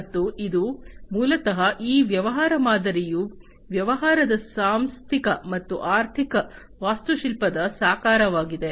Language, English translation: Kannada, And it is basically this business model is an embodiment of the organizational and the financial architecture of a business